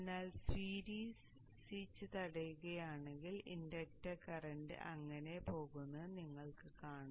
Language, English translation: Malayalam, But the switch, if it blocks, then you will see that the inductor current goes like that